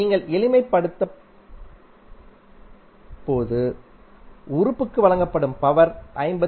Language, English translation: Tamil, And when you simplify you will get simply the power delivered to an element that is 53